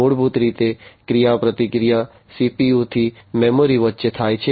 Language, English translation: Gujarati, So, basically the interaction happens between the CPU to the memory